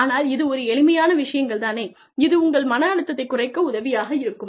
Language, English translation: Tamil, But, these are very simple things that, they help you, relieve the stress